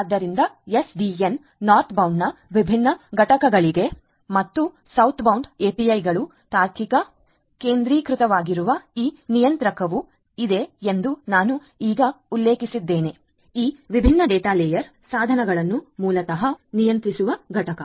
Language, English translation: Kannada, So, there are different components of the SDN Northbound and Southbound APIs are the ones that I just mentioned likewise there is this controller which is a logical centralized entity which is basically controlling this different data layer devices